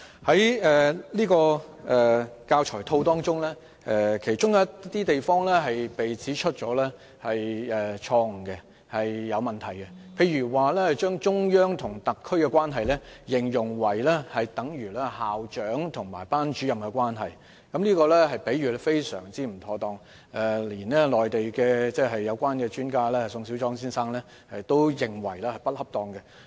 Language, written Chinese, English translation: Cantonese, 在新編製的教材套當中，有些地方被指出錯、有問題，例如將中央和特區關係形容為等於校長和班主任的關係，這種比喻非常不恰當，連內地有關專家宋小莊先生也認為是不恰當的。, It has been pointed out that the new learning package are marked by various mistakes and problems . For example the relationship between the central authorities and the HKSAR is likened to that between a principal and a class teacher . This is an extremely inappropriate analogy and even Mr SONG Xiaozhuang a Mainland expert in the subject matter also finds this analogy inappropriate